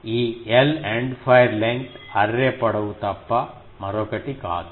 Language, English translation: Telugu, This L is nothing but the End fire length array length